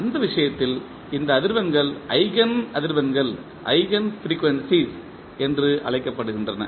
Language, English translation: Tamil, In that case, these frequencies are called as Eigen frequencies